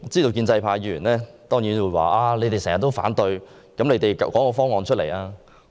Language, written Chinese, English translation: Cantonese, 建制派議員當然會說：你們經常反對，但你們能提出其他方案嗎？, Pro - establishment Members will definitely say that opposition Members always raise objection and query if they can put forward other proposals?